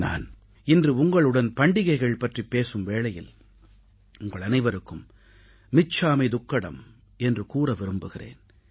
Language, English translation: Tamil, Speaking about festivals today, I would first like to wish you all michhamidukkadam